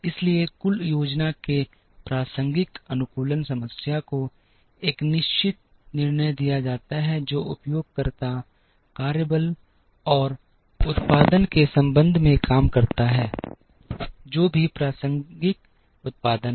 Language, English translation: Hindi, So, the optimization problem relevant to aggregate planning is given a certain decisions that the user makes with respect to workforce and production, whichever is relevant production